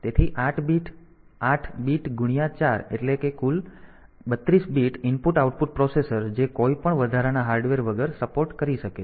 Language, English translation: Gujarati, So, 8 bit into 4 that is total 3 2 bit IO that processor can support without any additional hardware